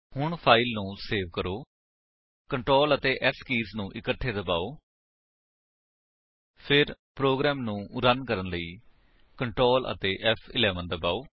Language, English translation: Punjabi, Now save this file , press Ctrl S key simultaneously then press Ctrl F11 to run the program